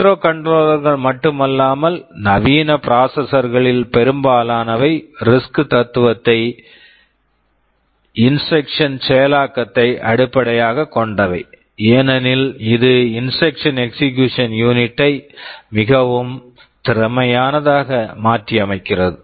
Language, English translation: Tamil, Not only microcontrollers, most of the modern processors at some level are based on the RISC philosophy of instruction execution because it makes the instruction execution unit much more efficient